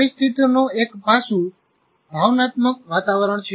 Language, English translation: Gujarati, The situation, one aspect of situation is emotional climate